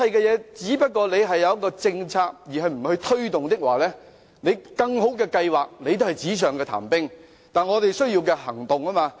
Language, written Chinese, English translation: Cantonese, 如果只有政策，而不作推動，更好的計劃也只是紙上談兵，但我們需要的是行動。, If there is only a policy but without any promotion even the best strategy will turn out to be an armchair strategy and what we need is action